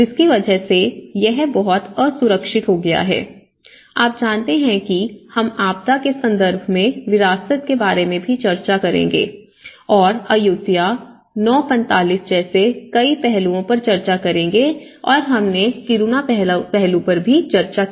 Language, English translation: Hindi, So, it has become very unsafe, you know it has to talk with the heritage and we also discuss about heritage in disaster context and many aspects like Ayutthaya 9:45 will be discussing on and we also discussed on Kiruna aspect